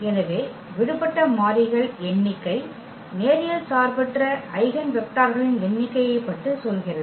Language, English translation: Tamil, So, the number of free variables tells about the number of linearly independent eigenvectors